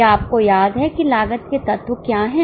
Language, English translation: Hindi, Do you remember what are the elements of cost